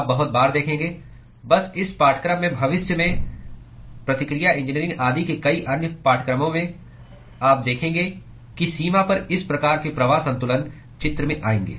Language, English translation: Hindi, You will see very often, just in this course in several other courses in reaction engineering etc in the future you will see that these kinds of flux balances at the boundary will come into picture